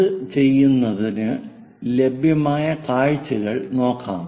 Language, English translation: Malayalam, To do that let us look at the views available